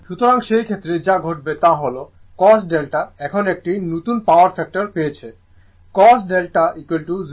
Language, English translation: Bengali, So, in that case what will happen that our cos delta said now, new power factor say cos delta is equal to 0